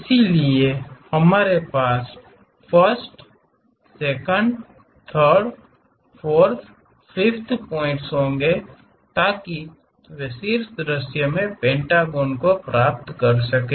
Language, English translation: Hindi, So, that we will have 1st, 2nd, 3rd, 4th, 5th points join them to get the pentagon in the top view